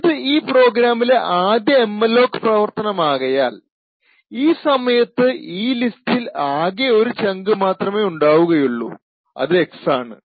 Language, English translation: Malayalam, Since this is the first malloc that is done in the program therefore in this particular point in time the list has just one chunk that is available and that chunk is x